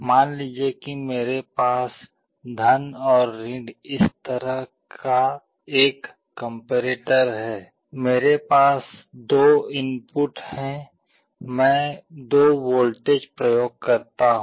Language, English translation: Hindi, Suppose I have a comparator like this + and , I have two inputs I apply two voltages